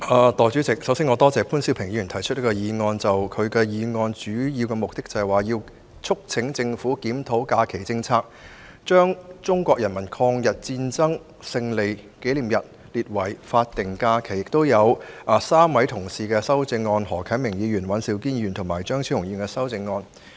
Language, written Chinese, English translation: Cantonese, 代理主席，首先我感謝潘兆平議員提出這項議案，議案的主要目的是"促請政府檢討假期政策，把中國人民抗日戰爭勝利紀念日列為法定假日 "，3 位同事包括何啟明議員、尹兆堅議員和張超雄議員亦提出修正案。, Deputy President first of all I would like to thank Mr POON Siu - ping for moving this motion . The major objective of the motion is to urge the Government to review the holiday policy and designate the Victory Day of the Chinese Peoples War of Resistance against Japanese Aggression as a statutory holiday . Three Honourable colleagues including Mr HO Kai - ming Mr Andrew WAN and Dr Fernando CHEUNG have proposed amendments